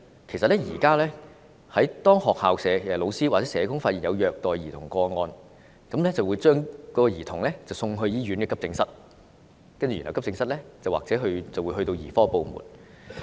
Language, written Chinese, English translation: Cantonese, 其實現時當學校教師或社工發現有虐待兒童個案，便會將該兒童送到醫院急症室，然後急症室或會轉介至兒科部門。, At present when school teachers or social workers have identified a child abuse case they will send the child to AED of any hospital and then AED may refer the case to the paediatric department